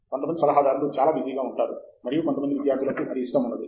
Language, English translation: Telugu, Some advisors are extremely busy and some students don’t like that